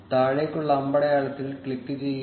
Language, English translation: Malayalam, Click the down arrow